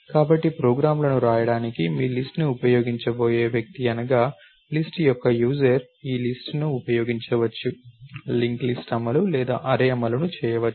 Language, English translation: Telugu, So, the user of the list the person who is going to use your list to write programs can use either this list, either the link list implementation or the array implementation